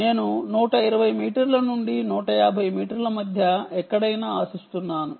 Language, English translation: Telugu, so i expect anywhere between one twenty metres and one fifty metres